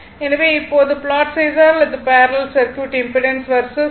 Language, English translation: Tamil, So, now if you plot now just opposite for parallel circuit impedance by omega